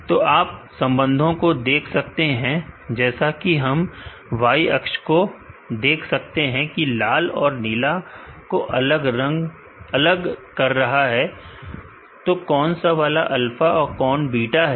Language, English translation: Hindi, So, you could see the relationship as he could see the Y axis differentiate the red and blue, which is alpha and beta